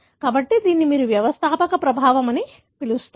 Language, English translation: Telugu, So, this is what you call as founder effect